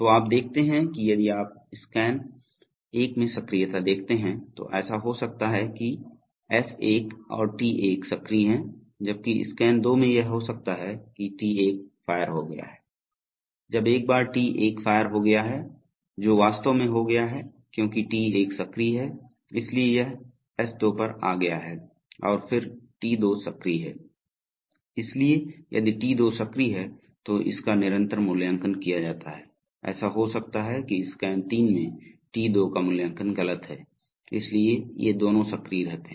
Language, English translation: Hindi, So you see that if you see the activations in scan one, it may so happen that S1 and T1are active, while in scan two it may happen that T1 has fired, once T1 has fired that is actually taken place because T1 is active, so it has come to S2 and then T2 is active, so if T2 is active, it is continuously evaluated, it may happen that in scan three T2 is evaluated to be false, so these two continue to be active